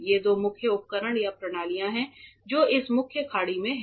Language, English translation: Hindi, These are the two main equipments or systems that are there in this main bay